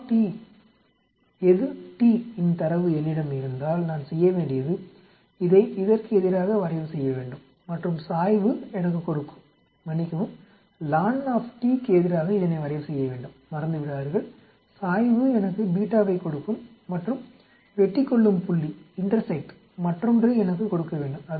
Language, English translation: Tamil, If I have data of q t versus t all I have to do is plot this versus this and the slope will give me, sorry plot this versus lon t, do not forget, the slope will give me beta and the intersect should give me the other one the minus beta eta that is how you do it